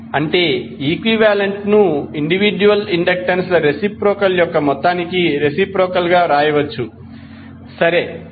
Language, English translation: Telugu, That means that L equivalent can be simply written as reciprocal of the sum of the reciprocal of individual inductances, right